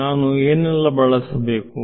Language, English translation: Kannada, What all do I have to use